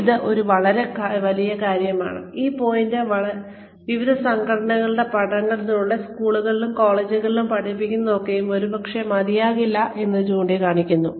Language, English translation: Malayalam, This is one big, this point has been brought up, by various organizations, through various studies that, whatever we are teaching in schools and colleges, is probably not enough